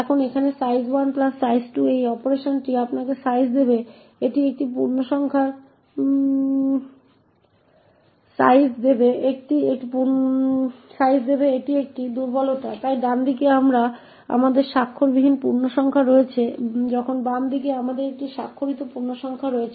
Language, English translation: Bengali, Now this operation over here size 1 plus size 2 would give you size is a vulnerability, so it is on the right hand side we have unsigned integers while on the left hand side we have a signed integer